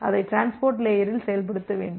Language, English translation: Tamil, We have to implement it at the transport layer